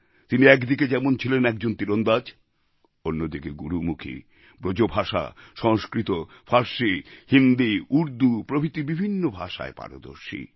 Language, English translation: Bengali, He was an archer, and a pundit of Gurmukhi, BrajBhasha, Sanskrit, Persian, Hindi and Urdu and many other languages